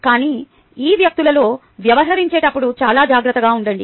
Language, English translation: Telugu, but be very careful while dealing with these people